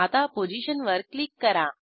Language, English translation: Marathi, Click on the position